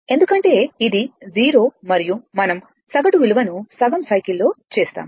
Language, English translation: Telugu, Because and this is 0 and we will make the average value over a half cycle